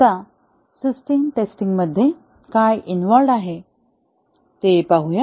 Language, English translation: Marathi, Now, let us see what is involved in system testing